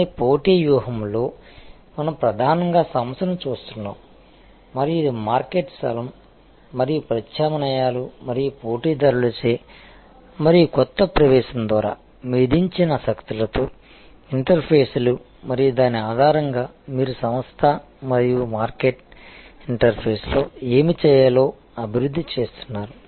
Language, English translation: Telugu, But, in competitive strategy we are mainly looking at the organization and it is interfaces with the market place and the forces imposed by substitutes and by competitors and by new entrance and based on that you are developing what to do at this interface between the organization and the market